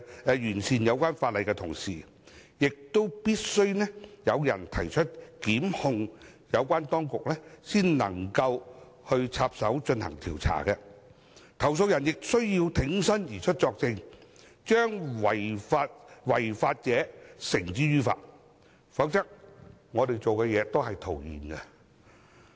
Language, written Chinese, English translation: Cantonese, 在完善有關法例的同時，必須有人作出申訴或提出告發，有關當局才能介入進行調查，投訴人亦需要挺身而出作證，將違法者繩之於法，否則我們所做的工作也是徒然。, While the relevant legislation is being perfected a complaint has to be made or information has to be laid before the authorities can intervene in the case to conduct an investigation . Also the complainant has to come forward and testify in order to bring lawbreakers to justice otherwise our efforts will be in vain